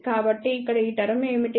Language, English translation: Telugu, So, what is this term here